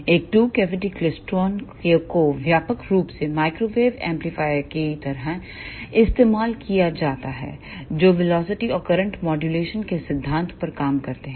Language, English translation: Hindi, Now, let us see two cavity klystron a two cavity klystron is a widely used microwave amplifier, which works on the principle of velocity and current modulation